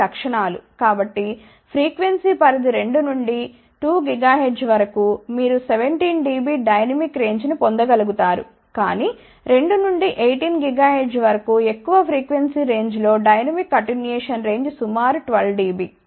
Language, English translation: Telugu, So, for frequency range 2 to 12 gigahertz, they could obtain a 17 dB dynamic range , but over a larger frequency range 2 to 18 gigahertz the dynamic attenuation range was about 12 dB ok